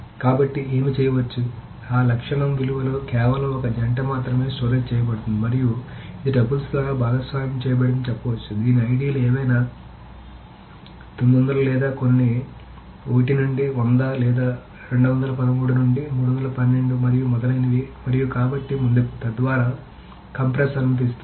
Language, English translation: Telugu, So what can mean is that only one copy of that attribute value can be stored and it can be said that this is shared by tuples whose IDs are from whatever 900 or some 1 to 100 or 230 to 312 and so on so forth